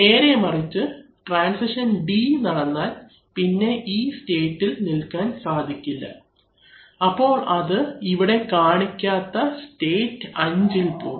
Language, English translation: Malayalam, On the other hand if transition D occurs then this will be falsified and then state 5 which is not shown here will be come on